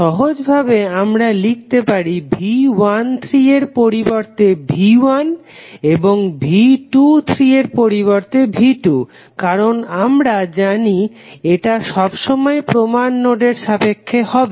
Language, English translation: Bengali, For simplicity we can write V 1 as in place of V 13 and V 2 in place of V 23 because we know that this is always be with reference to reference node